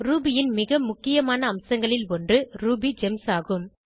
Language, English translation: Tamil, One of the most important feature of Ruby is RubyGems